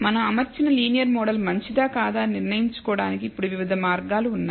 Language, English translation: Telugu, So, there are now several ways for deciding whether the linear model that we have fitted is good or not